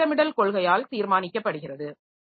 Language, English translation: Tamil, So, that is decided by the scheduling policy